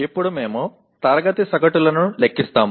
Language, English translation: Telugu, Now we compute the class averages